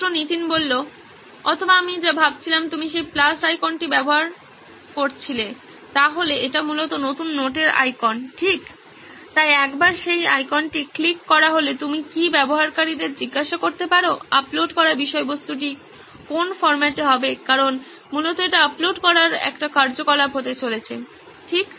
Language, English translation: Bengali, Or what I was thinking is you have created that plus icon, so this is basically the icon for new notes right, so once that icon is clicked, then could you ask the user on what format the uploaded content is going to be because basically this is going to be an activity on uploading right